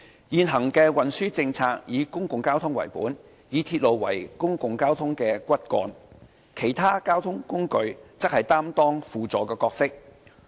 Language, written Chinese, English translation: Cantonese, 現行的運輸政策以公共交通為本，以鐵路為公共交通的骨幹，其他交通工具則擔當輔助角色。, Our transport policy is underpinned by public transport services with railways as its backbone . Other modes of public transport play supplementary roles